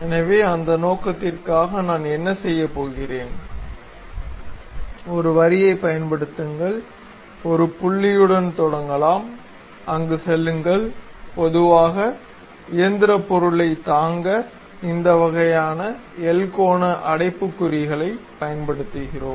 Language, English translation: Tamil, So, for that purpose, what I am going to do is, use a line, maybe begin with one point, go there; typically to support mechanical object, we use this kind of L angular brackets